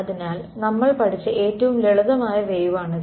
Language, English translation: Malayalam, So, this is the simplest kind of wave that we have studied right